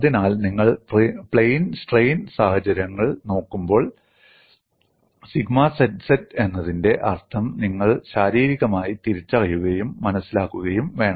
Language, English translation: Malayalam, So, when you look at the plane strain situation, you should recognize and understand physically the meaning of sigma zz